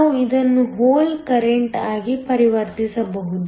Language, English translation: Kannada, We can convert this to a hole current